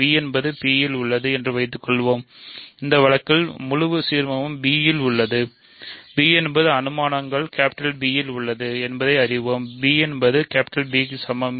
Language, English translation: Tamil, So, suppose b is in P; in this case the entire ideal b is contained in P; that means, of course, we know that P is contained in b by hypotheses; that means, b is equal to P